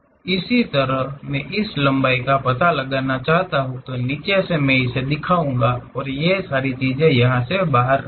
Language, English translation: Hindi, Similarly I want to really locate this length; all the way from bottom I will show that and these are outside of the things